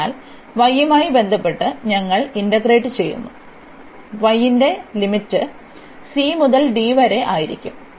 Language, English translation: Malayalam, So, we will integrate with respect to y then and y the limits will be c to d